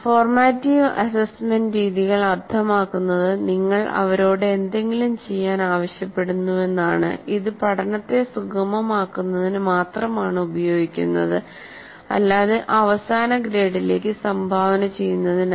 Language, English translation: Malayalam, Formative assessment methods means you are asking them to do something, but they are only used for facilitating learning but not for contributing to the final grade or any such activity